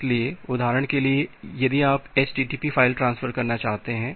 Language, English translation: Hindi, So, for example, if you want to do a http file transfer